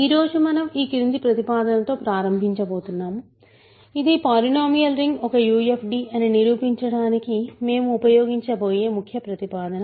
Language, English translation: Telugu, So, today we are going to start with the following proposition which is the key proposition that we are going to use to prove that the polynomial ring Z X is a UFD